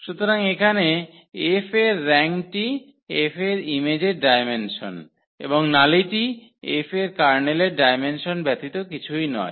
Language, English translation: Bengali, So, here the rank of F is the dimension of the image of F and nullity is nothing but the dimension of the kernel of F